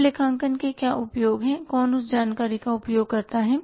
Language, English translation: Hindi, Now, users of accounting information who uses that information